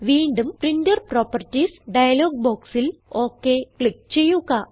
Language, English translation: Malayalam, Again click OK in the Printer Properties dialog box